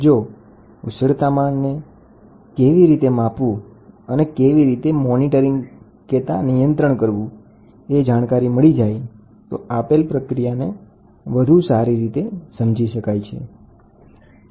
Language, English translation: Gujarati, If I can know how to measure the temperature and monitor it, then I can understand more about the process